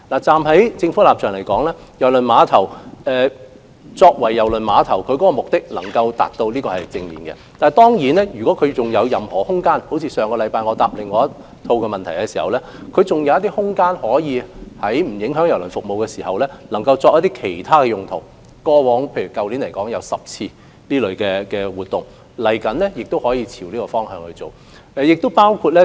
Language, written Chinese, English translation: Cantonese, 站在政府的立場來說，郵輪碼頭用作接待郵輪旅客的目的能夠達到，這是正面的；但當然，正如我上星期答覆另一項口頭質詢時所說，在不影響郵輪服務的情況下，郵輪碼頭如仍有空間，亦可作其他用途，例如去年，便有10次這類活動，日後也可朝着這方向進行。, From the perspective of the Government it is good that KTCT is fulfilling its objective of receiving cruise passengers . But certainly as I said in response to another oral question last week on the premise of not affecting cruise service the spare capacity of KTCT can be used for other purposes . Ten events for instance were hosted there last year in a similar fashion